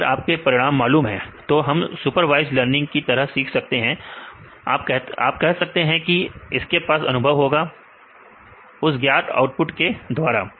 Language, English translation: Hindi, So, if your result is known, then we can learn as a supervised learning say this will have the experience right with the known output